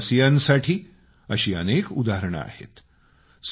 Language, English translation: Marathi, There are many such examples before us